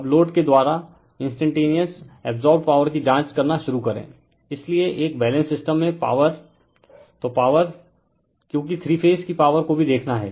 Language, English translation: Hindi, Now, we begin by examining the instantaneous power absorbed by the load right, so power in a balanced system so power, because we have to see the three phase power also